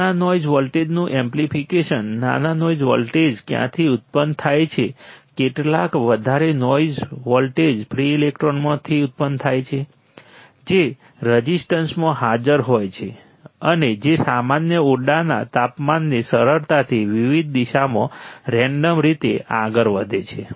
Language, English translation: Gujarati, Amplification of what amplification of small noise voltage, small noise voltage generates from where, some more noise voltage generates from the free electrons right that are present in the resistance, and that are moving randomly in various direction in normal room temperature easy